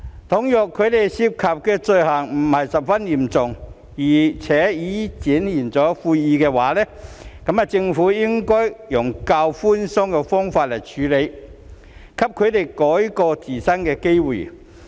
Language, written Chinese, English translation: Cantonese, 倘若他們涉及的罪行並非十分嚴重，並已表現出悔意，政府便應該以較寬鬆的方式處理，給他們改過自新的機會。, Provided that they are not involved in very serious offences and have expressed contrition the Government should adopt a more lenient approach in handling their cases so as to give them an opportunity to turn over a new leaf